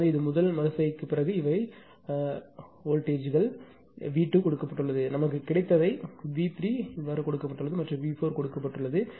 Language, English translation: Tamil, So, after first iteration these are the voltages; V 2 is given whatever we have got it V 3 is given and V 4 is given